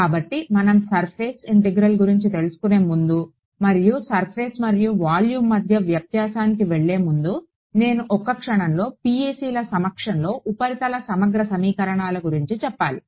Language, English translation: Telugu, So, before we go into surface and the difference between surface and volume, I want to take a quick aside, one sec, about surface integral equations in the presence of PECs